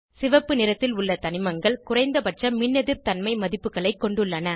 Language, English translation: Tamil, Elements with red color have lowest Electronegativity values